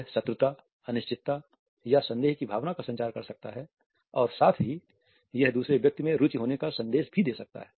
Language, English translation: Hindi, It may communicate a sense of hostility, uncertainty or suspicion and at the same time it can also give a suggestion of being interested in the other person